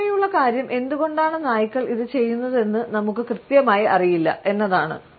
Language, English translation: Malayalam, And the funny thing is we do not even know for sure why dogs do it